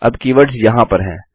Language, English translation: Hindi, Now the keywords are in here